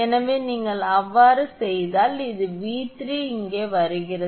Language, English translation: Tamil, So, if you do so then this V 3 is coming here